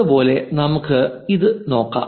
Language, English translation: Malayalam, Similarly, let us look at this one 1